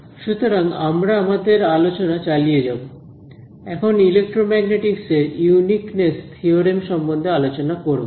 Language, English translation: Bengali, So, we will continue our discussion, now with the discussion of the Uniqueness Theorem in Electromagnetics